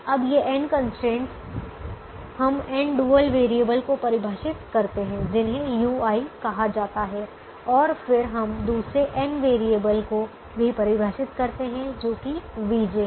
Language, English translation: Hindi, now, these n constraints, we define n dual variables which are called u i, and then we also define another n variables which are v j